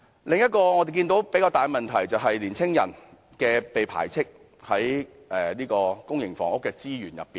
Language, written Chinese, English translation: Cantonese, 另一個我們看到的較大問題，就是青年人在爭取公營房屋的資源上被排斥。, We have perceived another problem which is more serious that is young people are being discriminated against when they try to get public housing resources